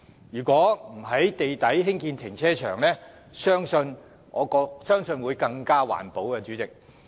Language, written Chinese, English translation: Cantonese, 如不在地底興建停車場，相信會更環保。, I consider it more environmentally friendly if carparks are not built underground